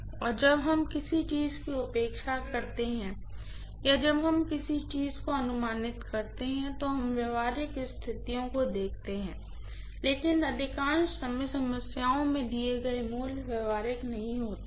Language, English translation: Hindi, And when we neglect something or when we approximate something we look at the practical conditions but most of the time the values given in the problems may not be all that practical, that is also there